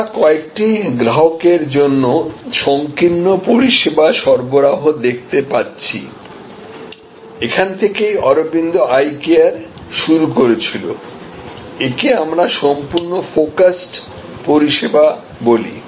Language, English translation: Bengali, So, we are looking at narrow service offering for a few customers, this is where Aravind started initially, this is what we call fully focused service